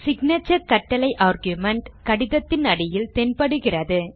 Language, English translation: Tamil, The signature commands argument appears at the bottom of the letter